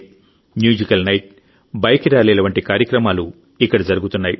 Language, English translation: Telugu, Programs like Musical Night, Bike Rallies are happening there